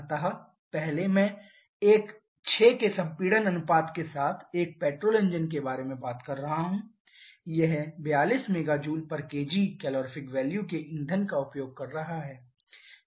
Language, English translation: Hindi, So, the first one that I am talking about a petrol engine with a compression ratio of 6 it is using a fuel as the calorific value of 42 mega Joule per kg